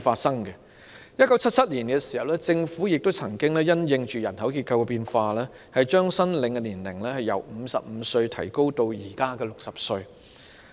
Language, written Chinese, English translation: Cantonese, 在1977年，政府曾經因應人口結構變化，將申領長者綜援的年齡由55歲提高至現時的60歲。, In 1977 the Government raised the eligibility age for elderly CSSA from 55 to the present threshold of 60 in response to changes in the demographic structure